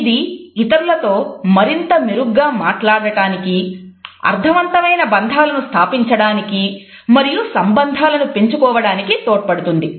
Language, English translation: Telugu, It allows you to better communicate with others established meaningful relationships and build rapport